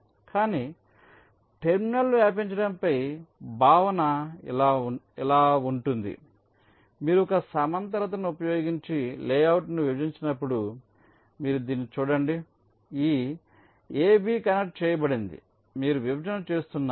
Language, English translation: Telugu, but terminal propagation concept is something like this: that when you partition a layout using a horizontal thing, you see this: this ab was connected